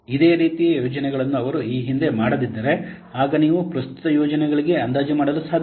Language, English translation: Kannada, If similar kinds of projects they have not been done earlier then this is then you cannot estimate for the current project